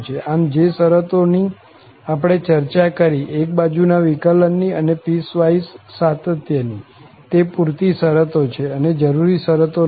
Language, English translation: Gujarati, So, the conditions we have discussed, the one sided derivatives and piecewise continuity, these are sufficient conditions not necessary conditions